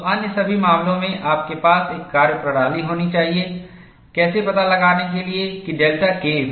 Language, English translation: Hindi, So, in all those cases, you should have a methodology, how to find out delta K effective